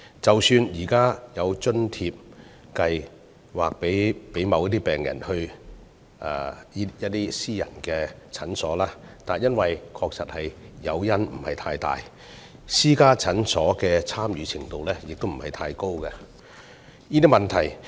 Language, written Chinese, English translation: Cantonese, 即使現時有津貼計劃供某些病人到私家診所求診，但由於誘因不大，私家診所的參與度亦不高。, Even though there is currently a subsidy scheme for certain patients to seek medical consultation at private clinics the participation rate of private clinics is not high owing to insufficient incentive